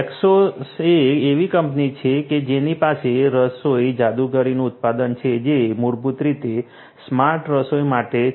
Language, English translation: Gujarati, Eskesso is a company that has the cooking sorcery the product which is basically for smart cooking